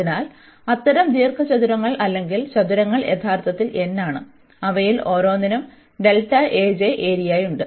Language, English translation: Malayalam, So, such rectangles or the squares are actually n and each of them has the area delta A j